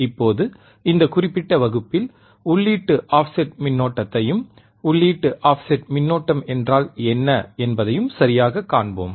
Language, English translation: Tamil, Now, in this particular class, we will see input offset current and what exactly input offset current means